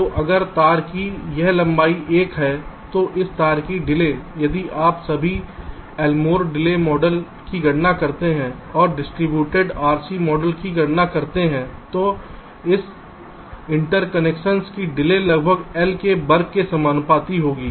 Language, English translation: Hindi, so if this length of the wire is l, so the delay of this wire, if you just compute the l mod delay model and compute the distributed r c model, so the delay of this interconnection will be roughly proportional to the square of l